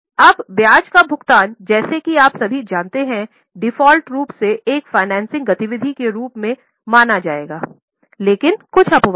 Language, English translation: Hindi, Now interest paid as you all know by default we will treat it as a financing activity but there are a few exceptions